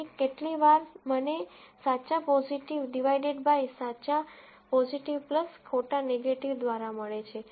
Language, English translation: Gujarati, So, how many times do I get true positive divided by true positive by plus false negative